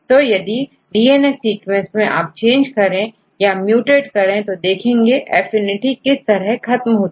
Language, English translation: Hindi, So, if you change the DNA sequence, if you mutate then you can see how the affinity is lost right